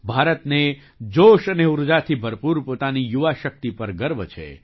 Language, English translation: Gujarati, India is proud of its youth power, full of enthusiasm and energy